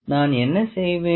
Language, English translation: Tamil, What I will do